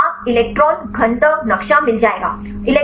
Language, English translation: Hindi, Map you will get the electron density map